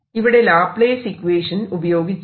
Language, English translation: Malayalam, again a laplace equation